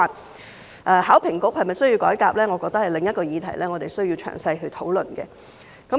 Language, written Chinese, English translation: Cantonese, 香港考試及評核局是否需要改革，我覺得是另一個我們需要詳細討論的議題。, Whether the Hong Kong Examinations and Assessment Authority needs reform is another issue that in my opinion we need to discuss in detail